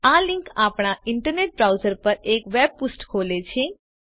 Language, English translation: Gujarati, This link opens a web page on our internet browser